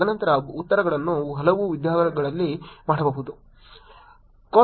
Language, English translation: Kannada, And then answers could be done in many ways